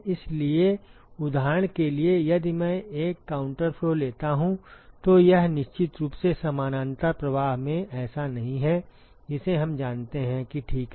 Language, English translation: Hindi, So, for example, if I take a counter flow it is definitely not the case in a parallel flow we know that ok